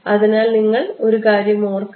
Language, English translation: Malayalam, So you should remember one thing